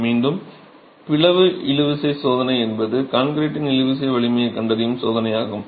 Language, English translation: Tamil, The split tension test again is a test that is adopted in finding out the tensile strength of concrete